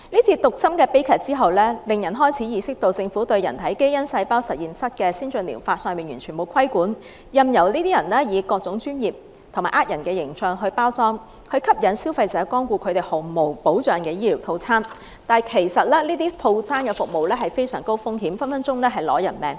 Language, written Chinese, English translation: Cantonese, 這宗毒針悲劇令人開始意識到，政府對人體基因細胞實驗室的先進療法完全沒有規管，任由這些人以各種專業及騙人的形象作包裝，吸引消費者光顧他們毫無保障的醫療套餐，但其實這些服務是非常高風險的，隨時會令人死亡。, This harmful infusion tragedy has made us aware of the complete lack of regulation by the Government on ATP concerning human gene cell laboratory . People may use their professional image to mislead consumers into purchasing their medical treatment packages . The consumers are not accorded any protection